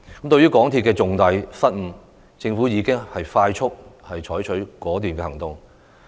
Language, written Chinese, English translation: Cantonese, 對於港鐵公司的重大失誤，政府已迅速採取果斷行動。, In view of such grave blunders of MTRCL the Government promptly took a decisive action